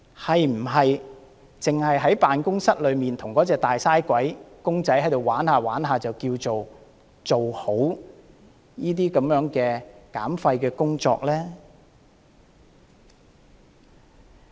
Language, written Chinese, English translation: Cantonese, 是否只在辦公室內與那個"大嘥鬼"公仔玩耍，便等於做好減廢工作呢？, Will the waste reduction initiatives be accomplished simply by toying with the Big Waster in the office?